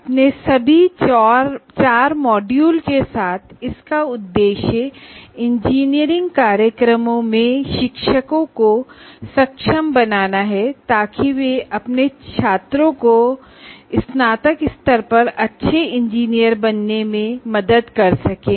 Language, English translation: Hindi, This course this course entire tail with all the four modules aims at enabling the teachers in engineering programs to facilitate their students to become good engineers at the time of graduation